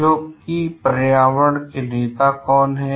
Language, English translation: Hindi, So, who are environmental leaders